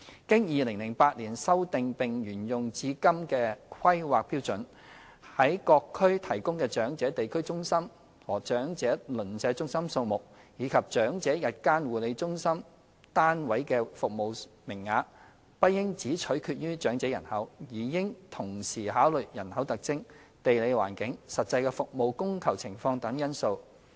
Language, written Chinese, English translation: Cantonese, 經2008年修訂並沿用至今的《規劃標準》，在各區提供的長者地區中心和長者鄰舍中心數目，以及長者日間護理中心/單位的服務名額，不應只取決於長者人口，而應同時考慮人口特徵、地理環境、實際的服務供求情況等因素。, According to the existing planning standards and guidelines in HKPSG in force since 2008 the number of District Elderly Community Centres DECCsand Neighbourhood Elderly Centres NECsas well as the number of places for Day Care CentresUnits for the Elderly in a district should not only be determined with reference to the size of the elderly population but also factors such as the demographic characteristics geographical environment and actual demand and supply of the services etc